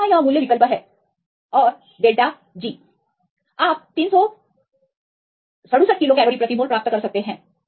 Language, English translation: Hindi, So, substitute is value here and delta G, you can get 367 kilo cal per mole